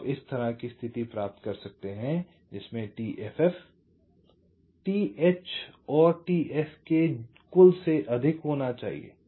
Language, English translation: Hindi, so you get ah condition like this: t f f should be greater than t h plus t s k